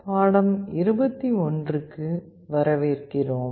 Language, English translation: Tamil, Welcome to lecture 21